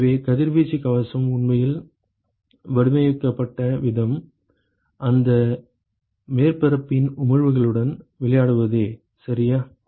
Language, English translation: Tamil, So, the way the radiation shield is actually designed is by playing with the emissivities of that surface ok